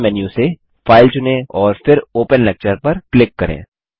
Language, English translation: Hindi, From the Main menu, select File, and then click Open Lecture